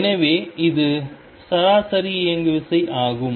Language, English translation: Tamil, So, this is average momentum